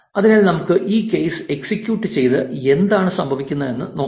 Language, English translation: Malayalam, So, let us execute this code and see what happens